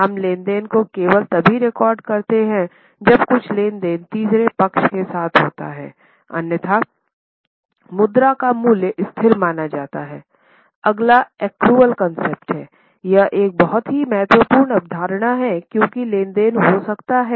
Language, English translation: Hindi, We record the transaction only when some transactions happens with third party, otherwise the value of currency is considered to be constant